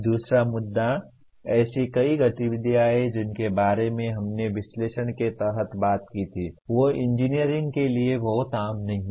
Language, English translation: Hindi, The other issue is many of the activities that we talked about under analyze are not very common to engineering